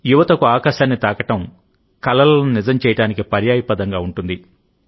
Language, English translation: Telugu, For the youth, touching the sky is synonymous with making dreams come true